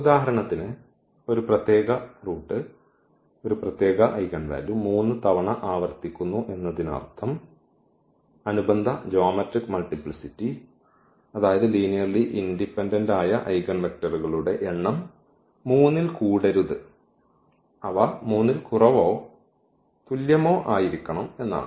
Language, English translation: Malayalam, Meaning that for example, one a particular root; one particular eigenvalue is repeated 3 times than the corresponding geometric multiplicity meaning they are number of linearly independent eigenvectors cannot be more than 3, they have to be less than or equal to 3